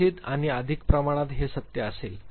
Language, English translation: Marathi, Perhaps and to greater extent this is true